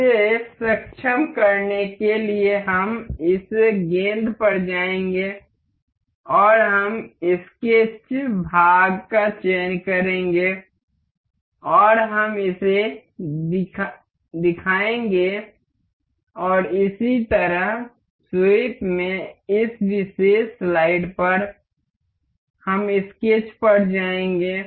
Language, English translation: Hindi, To enable that, we will go to this ball and we will select the sketch part and we will make it show and similarly, on the this particular slide in the sweep, we will go to the sketch